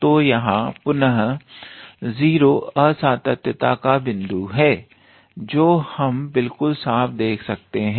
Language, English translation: Hindi, So, here again 0 is the point of discontinuity we can see that clearly